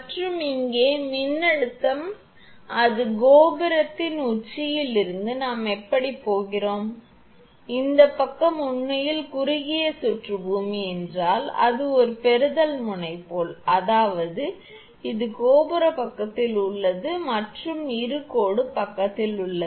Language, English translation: Tamil, And voltage here it is from the top of the tower, we are going like this say it this side actually short circuited earth means as if it is a receiving end; that means, it is on the tower side and this is on the line side